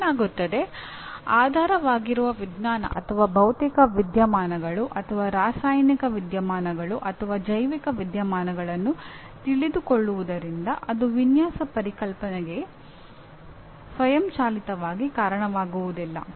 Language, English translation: Kannada, What happens is, knowing the underlying science or physical phenomena or chemical phenomena or biological phenomena it does not automatically lead to design concepts